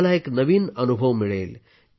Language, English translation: Marathi, You will undergo a new experience